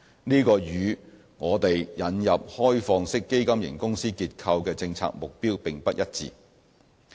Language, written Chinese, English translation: Cantonese, 這與我們引入開放式基金型公司結構的政策目標並不一致。, This is inconsistent with our policy objective of introducing the OFC structure